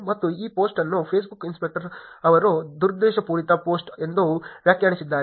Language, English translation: Kannada, And this post is being annotated by Facebook inspector saying it is a malicious post